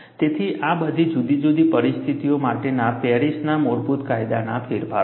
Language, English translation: Gujarati, So, these are all the modifications of the basic Paris law for different situations